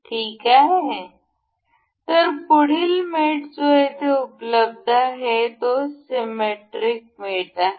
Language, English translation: Marathi, Ok again so, the next mate available is here is symmetric mate